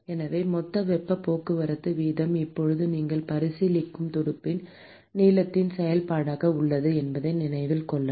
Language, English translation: Tamil, So, note that the total heat transport rate is now a function of the length of the fin that you are considering